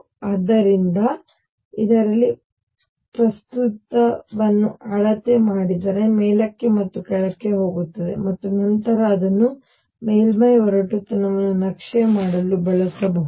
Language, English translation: Kannada, And therefore, the current in this if that is measured would be going up and down and then that can be used to map the roughness of the surface